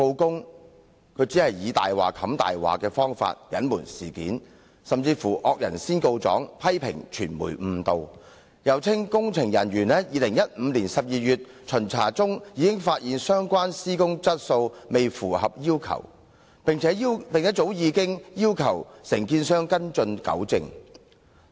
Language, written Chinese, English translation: Cantonese, 港鐵公司只以"大話掩飾大話"的方法隱瞞事件，甚至"惡人先告狀"批評傳媒誤導，又稱工程人員在2015年12月巡查時已發現相關施工質素未符合要求，並早已要求承建商跟進及糾正。, It has used one lie after another to cover up the truth and has even accused the media of misleading the public . It claimed that its engineering personnel had found the substandard works during their inspection in December 2015 and had already asked the contractor to follow up and rectify the anomalies